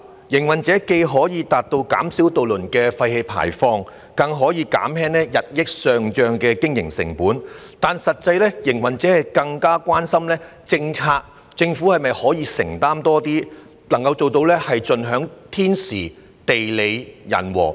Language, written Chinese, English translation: Cantonese, 營辦商既可減少渡輪的廢氣排放，更可減輕日益上漲的經營成本，但實際上，營辦商更關心的是政府可否在政策方面承擔更多，以盡享天時、地利、人和。, By reducing the emissions from ferries operators can also lower the rising operating costs . However in fact operators are more concerned about whether the Government can make more policy commitments and do the right thing at the right place and at the right time